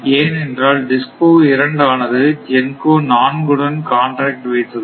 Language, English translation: Tamil, And, similarly this DISCO 2 it demands from GENCO 4 0